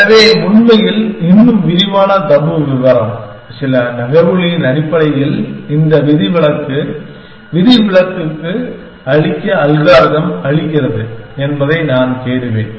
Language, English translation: Tamil, So, actually the more detail tabu, I will search algorithm allows you to make an exception to this barring of certain moves essentially